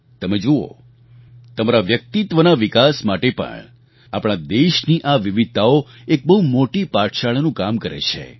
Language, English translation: Gujarati, You may see for yourself, that for your inner development also, these diversities of our country work as a big teaching tool